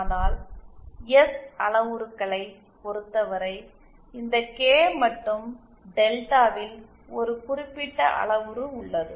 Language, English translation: Tamil, But in terms of the S parameters there is a specific there is a specific parameter this K and delta